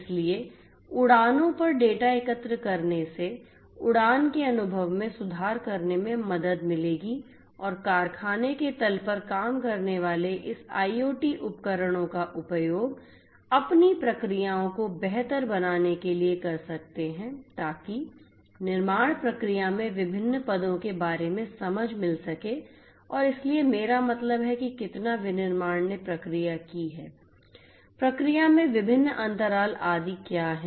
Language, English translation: Hindi, So, collecting data on flights will help to improve the in flight experience and the workers on the factory floor can use this IoT devices to improve their processes to get an understanding about the different you know the different positions in the manufacturing process and so on the I mean how much the manufacturing has processed what are the different gaps etcetera in the process and so on